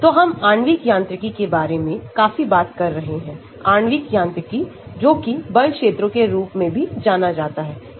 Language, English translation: Hindi, So, we have been talking about molecular mechanics quite a lot, molecular mechanics also known as force fields